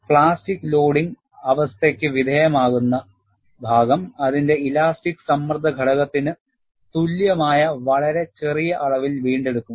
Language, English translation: Malayalam, The portion, which is subjected to plastic loading condition will also recover, by a very small amount equivalent to its elastic strain component